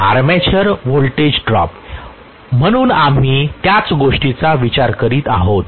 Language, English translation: Marathi, Armature voltage drop, so we are essentially considering the same thing